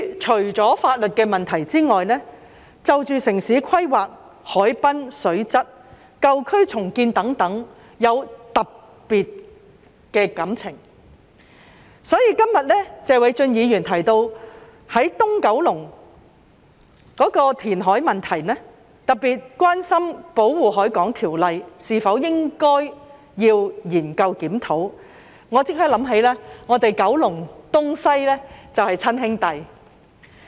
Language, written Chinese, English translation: Cantonese, 除了法律的問題外，我對於城市規劃、海濱水質、舊區重建等事宜也有特別的感情，所以，今天謝偉俊議員提到東九龍的填海問題，特別是關於應否研究檢討《保護海港條例》，我便立即想起我們九龍東及九龍西就是親兄弟。, Besides legal issues I also have some special feelings about issues such as urban planning water quality at the harbourfront and redevelopment of old districts . Therefore when Mr Paul TSE mentioned the issue of reclamation in Kowloon East especially about whether a review of the Protection of the Harbour Ordinance should be conducted I immediately thought of the brotherhood of Kowloon East and Kowloon West